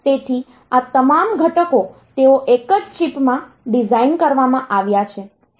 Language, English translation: Gujarati, So, all these components they are designed in a single chip